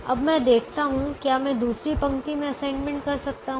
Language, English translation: Hindi, i see whether i can make an assignment in the second row